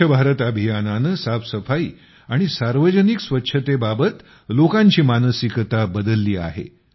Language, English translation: Marathi, The Swachh Bharat Abhiyan has changed people's mindset regarding cleanliness and public hygiene